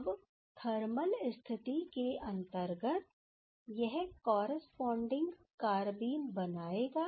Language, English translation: Hindi, Now, under thermal condition so this will give the corresponding carbene